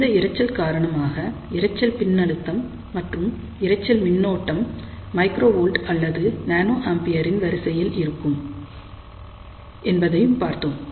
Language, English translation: Tamil, And we had seen that, because of those noises the noise voltage or noise current could be of the order of microvolt or nanoampere